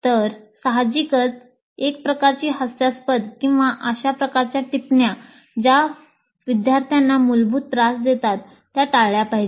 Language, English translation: Marathi, So obviously a kind of ridiculing or the kind of comments which essentially disturb the student should be avoided